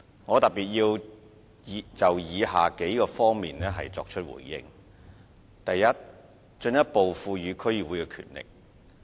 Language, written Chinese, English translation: Cantonese, 我特別就以下幾方面作出回應：第一，進一步賦予區議會權力。, I will respond particularly to the following aspects First vesting DCs with additional powers